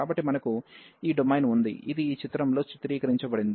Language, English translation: Telugu, So, we have this domain, which is depicted in this figure